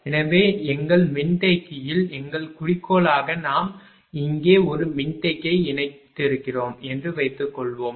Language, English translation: Tamil, So, as our objective in our capacitor suppose we have connected a capacitor here right